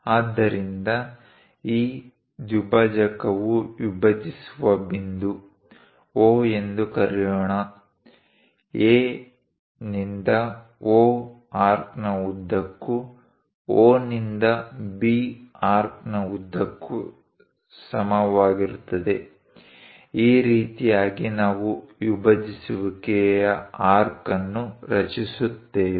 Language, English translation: Kannada, So, the point where this bisector dividing; let us call O, A to O along this arc equal to O to B along this arc; this is the way we construct bisecting an arc